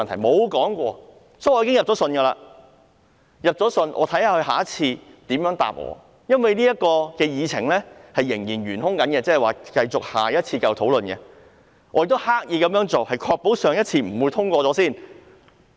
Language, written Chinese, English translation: Cantonese, 所以，我已經就此去信局方，看看他下次如何回答我，因為這項議程仍然尚待處理，下次會繼續討論，我也是刻意這樣做的，以確保上次不會先行通過。, I have therefore written to the Bureau in this connection and I will see what he will say in reply in the next meeting because this is made an outstanding item on the agenda for discussion in the next meeting . I deliberately intended it in order to ensure that the proposal would not be passed at the previous meeting